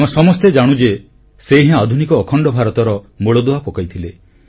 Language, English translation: Odia, All of us know that he was the one who laid the foundation stone of modern, unified India